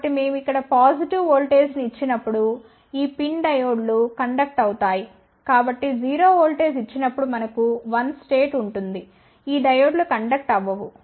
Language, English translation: Telugu, So, when we apply a positive voltage over here then these pin diodes will conduct so we will have a 1 state when 0 voltage is applied these diodes will not conduct